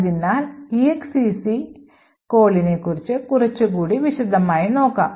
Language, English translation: Malayalam, So, let us look a little more in detail about the exec call